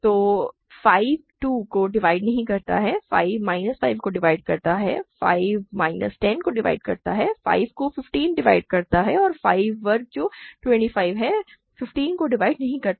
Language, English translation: Hindi, So, 5 does not divide 2, 5 divides minus 5, 5 divides minus 10, 5 divides 15 and 5 squared which is 25, does not divide 15